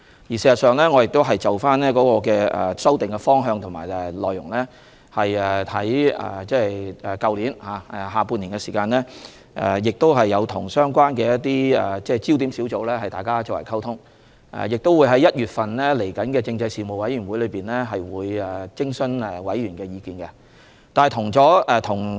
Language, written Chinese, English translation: Cantonese, 事實上，我們已就修訂的方向及內容，在去年下半年與相關的焦點小組進行溝通，我們亦會在1月的政制事務委員會會議上徵詢委員的意見。, In fact in the second half of last year we already communicated with the relevant focus groups about the direction and content of the amendment and we would consult the views of Members of the Panel on Constitutional Affairs in January